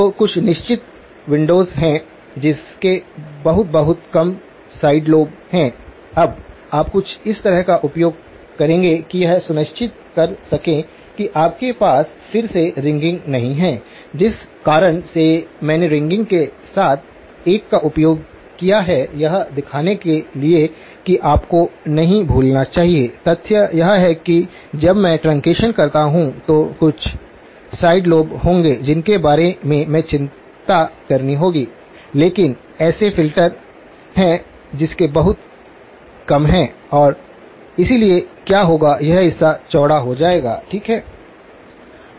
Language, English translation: Hindi, So, there are certain windows that have got very, very low side lobes, now you would use something like this to make sure that you do not have ringing again, the reason I used a one with ringing is to show that you should not forget the fact that when I do truncation there will be some side lobes which have to worry about but there are filters which have very low, and so what will happen is this part will get widened, right